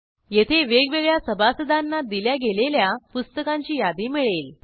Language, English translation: Marathi, Here, we get the list of books issued to different members